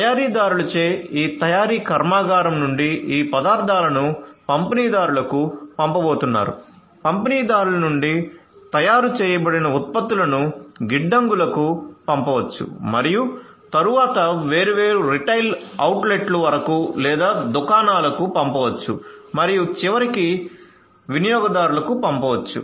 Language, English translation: Telugu, So, from this manufacturing plant by the manufacturers these materials are going to be sent to the distributors, from the distributors the manufactured products from the distributors are going to be may be sent to the warehouses and then to the different you know retail outlets or shops and finally to the end customers